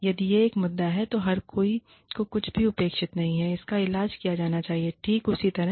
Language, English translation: Hindi, If it is an issue, then everybody doing, whatever is not expected, should be treated, the exact same way